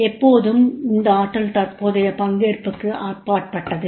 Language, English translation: Tamil, And always this potential is beyond the present role